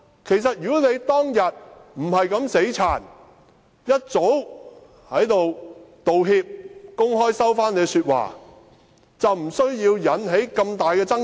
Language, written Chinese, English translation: Cantonese, 其實如果他當天不是這樣"死撐"，早已道歉，公開收回自己的說話，便不會引起這麼大的爭議。, Actually had he not defended the indefensible on the day but had just apologized and publicly withdrawn his own remarks the controversy would not have become this big